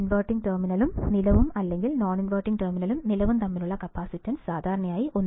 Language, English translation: Malayalam, So, the capacitance between the inverting terminal and the ground or non inverting terminal and ground, typically has a value equal to 1